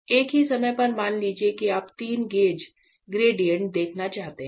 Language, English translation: Hindi, At the same time; suppose if you want to see the three gauges gradients